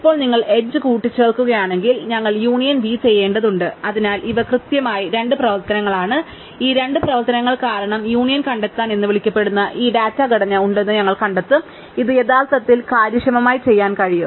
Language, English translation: Malayalam, Now, if you add the edge then we have to do union u v, so these are precisely a two operations and we will find that the there is this data structure which is called union find because of these two operations, which can actually do this efficiently